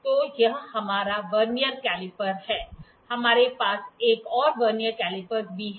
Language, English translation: Hindi, So, this is our Vernier calipers, we also have another Vernier caliper